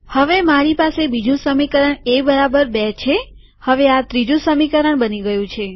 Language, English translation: Gujarati, Now I have A equals B as the second equation